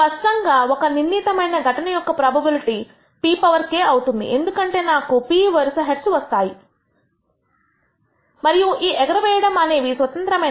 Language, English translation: Telugu, Clearly the probability of this particular event is p power k, because I am getting p successive heads and these out tosses are independent